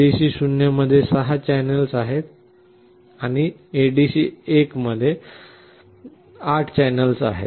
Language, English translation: Marathi, ADC0 has 6 channels and ADC1 had 8 channels